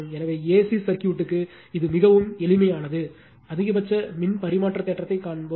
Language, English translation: Tamil, So, for A C circuit also very simple it is we will see the maximum power transfer theorem